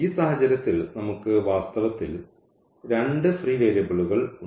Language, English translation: Malayalam, So, in this case we have two in fact, free variables